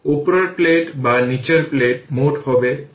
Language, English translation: Bengali, Upper plate or lower plate, total will be 0 right